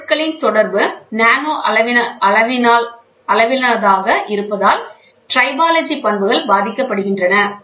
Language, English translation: Tamil, Tribological properties affects since the interaction of materials are in nanoscale